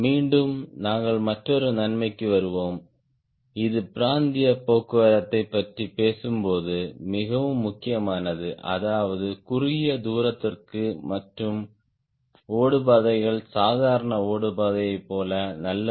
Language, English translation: Tamil, then again you will talk back to another advantage which is very, very important when you talk about regional transport, that is, which are for short distance and the runways are not as good as normal runway